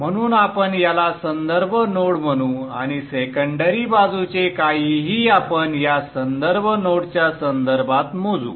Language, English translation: Marathi, So we'll call this the reference node and anything on the secondary side, we will measure it with respect to this reference node